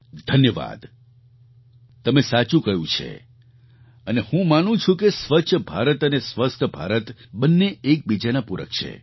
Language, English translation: Gujarati, Thanks, you have rightly said it and I believe that Swachch Bharat and Swasth Bharat are supplementary to each other